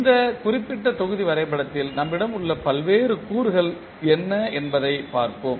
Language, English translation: Tamil, So we will see what are the various components we have in this particular block diagram